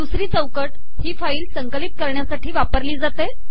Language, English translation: Marathi, The second window is used to compile this file